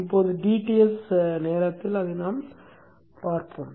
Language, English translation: Tamil, So now let us say that during the DTS period